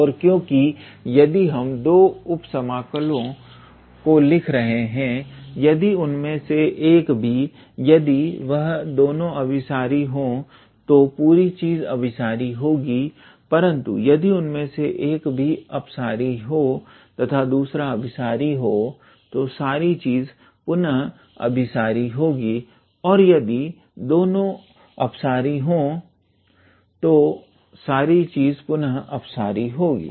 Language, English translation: Hindi, And if since we are writing the 2 sub integrals, if any one of them if both of them are convergent then the whole thing is convergent, but if any one of them is divergent and the other one is convergent then the whole thing will again be divergent and if both of them are divergent then the whole thing will again be divergent